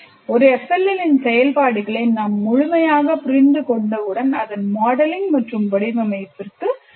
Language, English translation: Tamil, So once I fully understand the function of an FLL, then only I can go to actual, it's modeling and design